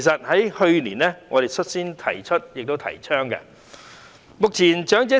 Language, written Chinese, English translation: Cantonese, 我們去年率先提出及提倡這構思。, Last year we were the first to propose and advocate this idea